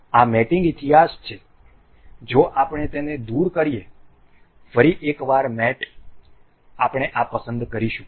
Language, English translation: Gujarati, This is the mate history if we remove this, once again mate we will select on this one